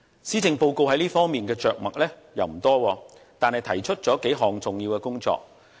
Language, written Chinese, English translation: Cantonese, 施政報告在這方面着墨不多，但仍提出了數項重要工作。, Although the Policy Address does not say much on this it still rolls out several major initiatives